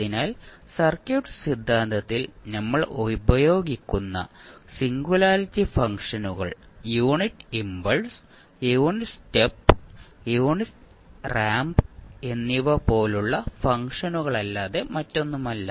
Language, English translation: Malayalam, So, let us see that the singularity functions which we use in the circuit theory are nothing but the functions which are like unit impulse, unit step and unit ramp